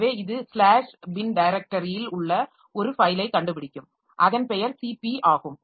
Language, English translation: Tamil, In the slash bin directory we will find a file whose name is CP